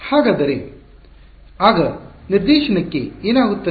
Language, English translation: Kannada, So, what happens to the direction then